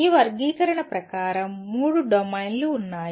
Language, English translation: Telugu, As per this taxonomy, there are three domains of concern